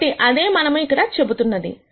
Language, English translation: Telugu, So, that is what we are saying here